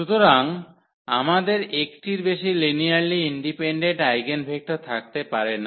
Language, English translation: Bengali, So, we cannot have more than 1 linearly independent eigenvector